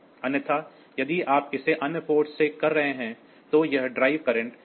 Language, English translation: Hindi, Otherwise if you are doing it for from other ports; so, this the drive current is limited